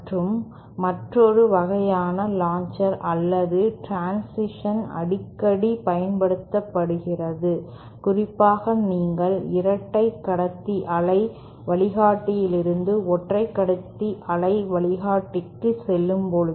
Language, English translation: Tamil, And one another type of launcher or transition that is frequently used, especially when you are going from 2 conductor waveguide to a single conductor waveguide